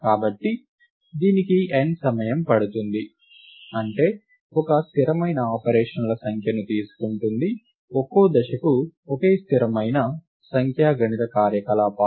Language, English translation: Telugu, So, this takes n time, that is, it takes a constant number of operations a constant number of arithmetic operations per step